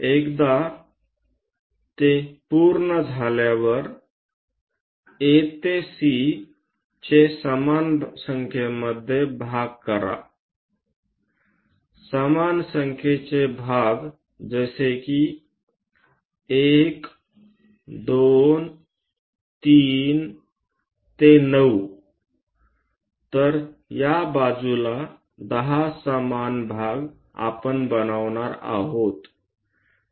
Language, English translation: Marathi, Once it is done, divide A to C into equal number of parts, same number of parts like 1, 2, 3 all the way to 9; so 10 equal parts we are going to construct on this side